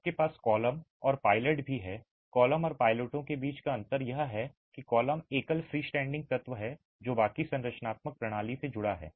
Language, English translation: Hindi, The difference between columns and pilasters is a column is a single freestanding element of course connected to the rest of the structural system